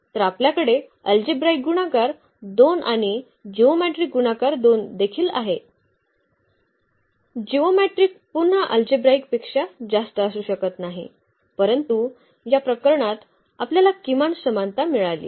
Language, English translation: Marathi, So, we have the algebraic multiplicity 2 and as well as the geometric multiplicity 2; geometric cannot be more than the algebraic one again, but in this case we got at least the equality